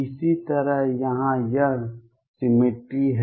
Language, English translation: Hindi, Similarly it is this symmetry out here